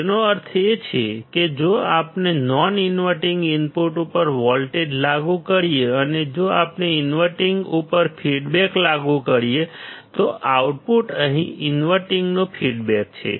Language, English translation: Gujarati, It means if we apply a voltage at the non inverting input and if we apply a feedback to the inverting; the output is feedback to inverting here